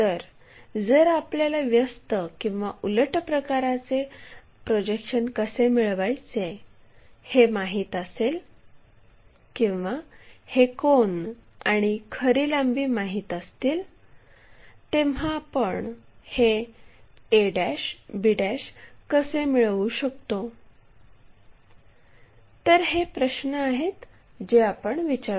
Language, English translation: Marathi, So, if I know the projections how to get that inverse problem one or if I know these angles and true lengths, how can I get this a' b', these are the questions what we will ask